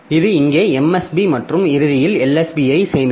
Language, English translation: Tamil, So, it will be storing the MSB here and L